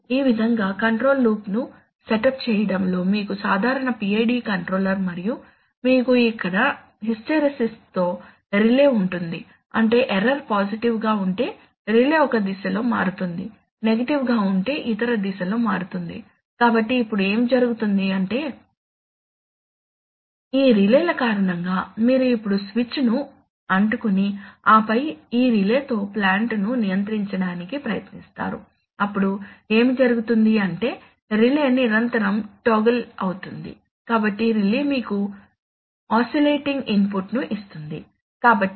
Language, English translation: Telugu, In set up the control loop like this, so you have the normal PID controller and you have a relay with hysteresis here, so what is the, what does it mean that if the error goes positive then the relay will switch with, switch in one direction if it is negative it will switch in the other direction, so now what will happen is that the width, because of this relays you now stick the switch and then try to control the plant with this relay then what will happen is that the relay will continuously toggle, so the relay will give you an oscillating input